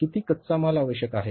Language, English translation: Marathi, How much labor will be required